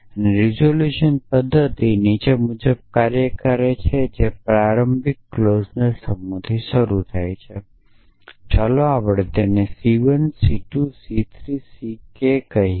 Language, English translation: Gujarati, So, the resolution method works as follows that is start with a set of initial clauses let us called them C 1 C 2 C 3 C k